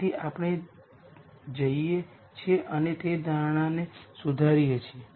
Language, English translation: Gujarati, So, we go and modify that assumption